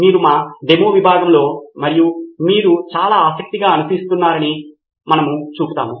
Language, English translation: Telugu, We will show that you in our demo section as well which you have been following so keenly